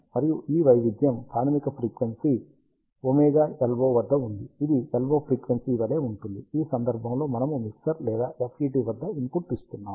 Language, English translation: Telugu, And this variation is at fundamental frequency of omega LO which is same as the LO frequency, which we are inputting at the mixture or the FET in this case